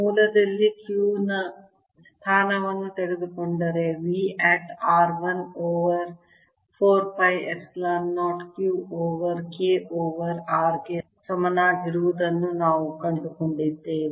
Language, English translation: Kannada, taking the position of the q at the origin, we found that v at r was equal to one over four pi, epsilon zero q over k over r